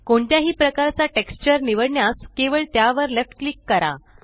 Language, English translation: Marathi, To select any texture type just left click on it